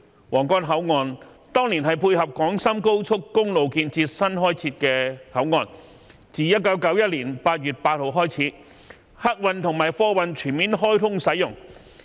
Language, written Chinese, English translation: Cantonese, 皇崗口岸當年是配合廣深高速公路建設新開設的口岸，自1991年8月8日起，客運和貨運全面開通使用。, The Huanggang Port was originally constructed to support the commissioning of the Guangzhou - Shenzhen Expressway . Since 8 August 1991 passenger and goods channels have been fully commissioned